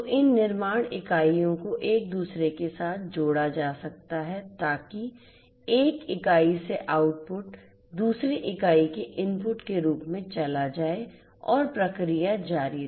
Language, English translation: Hindi, So, and these manufacturing units can be connected with one another so, that the input from one unit goes to go sorry the output from one unit goes as an input to another unit and the process continues